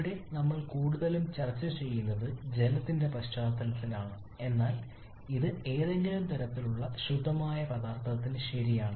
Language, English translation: Malayalam, Remember here we are discussing mostly in context of water but that is true for any kind of pure substance